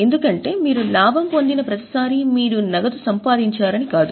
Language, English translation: Telugu, Because every time you have made profit does not mean you have made cash